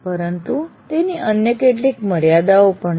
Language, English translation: Gujarati, But then it has several other limitations as well